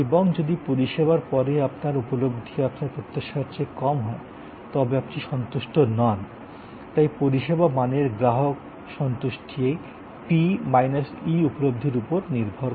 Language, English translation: Bengali, And if your perception after the service is lower than your expectation, then you are not satisfied, so the service quality customer satisfaction depend on this P minus E perception